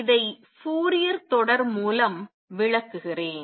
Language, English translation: Tamil, Let me explain this through Fourier series